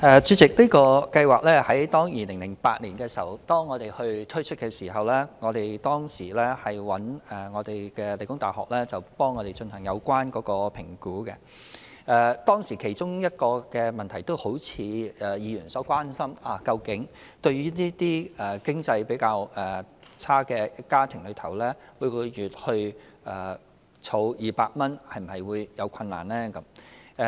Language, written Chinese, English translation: Cantonese, 主席，在2008年推出這個計劃的時候，我們曾委託理工大學進行評估，當時的其中一個問題正是議員所關心的，究竟對於經濟較拮据的家庭，每月儲蓄200元會否有困難。, President when the programme was rolled out in 2008 we commissioned The Hong Kong Polytechnic University to conduct an assessment on various issues one of which is whether families with less financial means would have difficulty in saving 200 a month which is precisely the issue that Mr LAU has raised concerns about